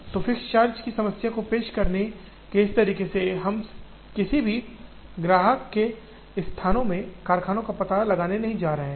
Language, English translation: Hindi, So, in this way of introducing the fixed charge problem, we are not going to locate factories in any customer locations